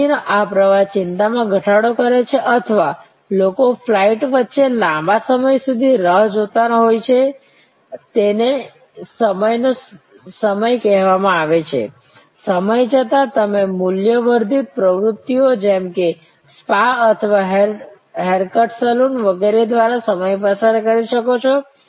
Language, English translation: Gujarati, This flow of information reduces anxiety or were people are waiting for long time between flights, the so called lay of time, lay over time, you can occupy through value added activities like a spa or a haircut saloon and so on